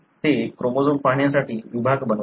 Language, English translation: Marathi, They used to make sections to look at chromosomes